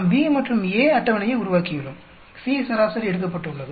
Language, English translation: Tamil, We just made B and A table, C is averaged out